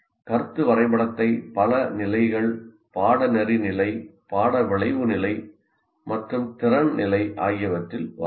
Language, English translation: Tamil, And it can be concept map can be drawn at several levels, course level, course outcome level and at competency level